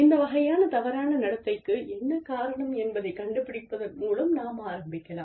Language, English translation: Tamil, We could start, by finding out, what it is, that has caused, this kind of misconduct